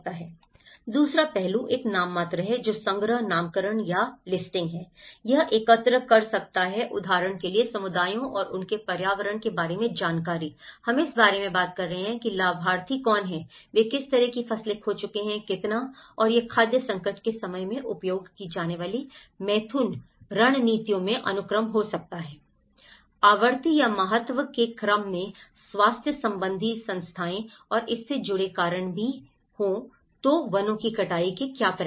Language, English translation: Hindi, The second aspect is a nominal which is the collecting, naming or listing, it can collect information about communities and their environment like for instance, we are talking about who are the beneficiaries, who are the what kind of crops they have lost, how much and it can also look at the sequence in the coping strategies used in times of food crisis, health problems in order of frequency or importance and also the associated reasons for it so such consequences of deforestation